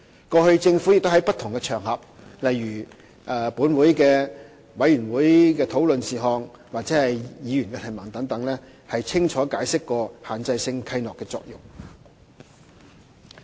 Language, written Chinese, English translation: Cantonese, 過去，政府亦在不同場合，例如就立法會的委員會討論事項或議員的質詢等，清楚解釋限制性契諾的作用。, The information is clear and publicly available . The Government has clearly explained the function of Restrictive Covenants on various occasions in the past for instance during committee discussions of the Legislative Council or Members questioning sessions